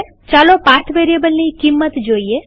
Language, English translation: Gujarati, Lets see the value of the path variable